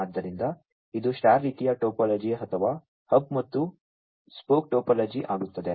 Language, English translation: Kannada, So, this becomes a star kind of topology or a hub and spoke topology